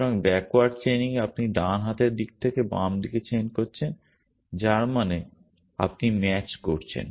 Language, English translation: Bengali, So, in backward chaining you are chaining from the right hand side to the left hand side which means you match